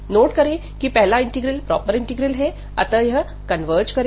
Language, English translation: Hindi, And note that the first integral is is a proper integral, so naturally it converges